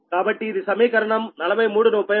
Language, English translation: Telugu, so that is equation forty three